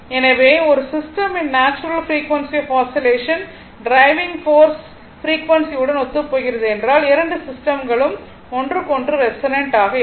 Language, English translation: Tamil, So, whenever the nat if the natural frequency of the oscillation of a system right if it coincide with the frequency of the driving force right then the 2 system resonance with respect to each other